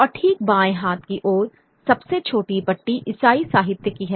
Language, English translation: Hindi, And right on the left hand, the smallest bar is that of Christian literature